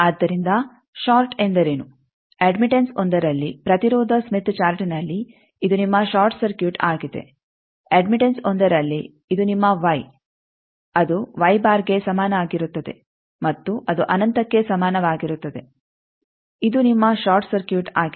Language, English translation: Kannada, So, short means what in admittance 1 that in impedance smith chart, this is your short circuit in admittance 1, this is your Y is equal to Y bar is equal to infinity, this is your short circuit from here